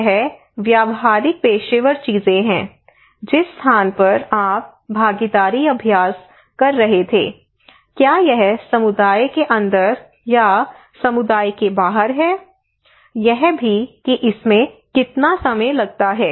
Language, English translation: Hindi, This is a practical professional things also it is where which place you were conducting participatory exercise is it inside the community outside the community also it time another variable that how long it takes